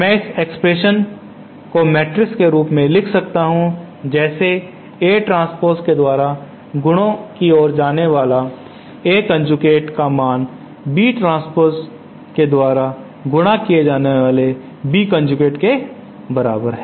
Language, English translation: Hindi, I can write this same expression in matrix form as A transpose multiplied by A conjugate is equal to B transpose times B conjugate